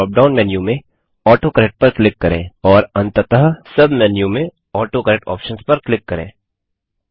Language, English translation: Hindi, Then click on AutoCorrect in the drop down menu and finally click on AutoCorrect Options in the sub menu